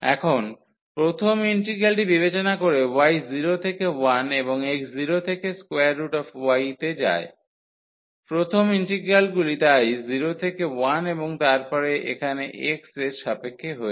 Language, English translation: Bengali, So, considering the first integral here y goes from 0 to 1 and x goes from 0 to square root y so, the first integrals so, 0 to 1 and then here with respect to x